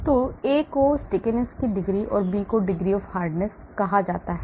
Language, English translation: Hindi, So the A is called the degree of stickiness and B is called the degree of hardness